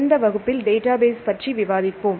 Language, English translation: Tamil, In this class we discuss about Databases